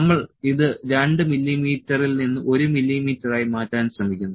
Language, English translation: Malayalam, So, it is a trying to retract from the 2 mm we have to change it to 1 mm